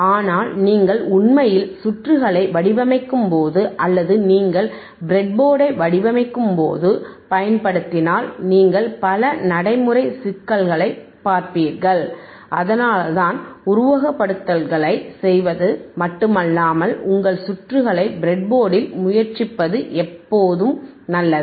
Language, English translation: Tamil, But when you actually factually abricatefabricate or design the circuit, and if you use the breadboard, you will find lot of actual effective ppractical difficulties and that is why it is always good to not only do the simulations, but also try your circuits on the breadboard